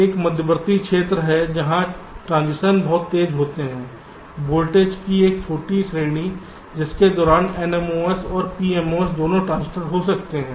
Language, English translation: Hindi, there is an intermediate region where the transitions is very fast, a short range of voltage during which both the n mos and p mos transistors may be conducting